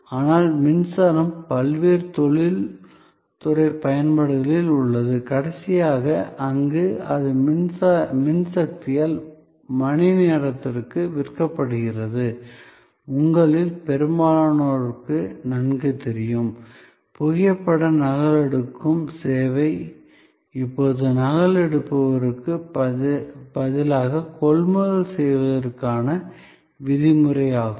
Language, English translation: Tamil, But, there are various industrial usage of power where it is sold by power by hour and lastly, very well known to most of you is that, photo copying service is now norm of procurement instead of photocopiers